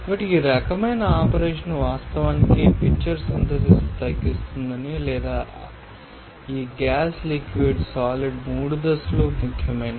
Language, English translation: Telugu, So, this type of operation actually scored that the pitcher drops the synthesis, or these gas liquid solid three phases are important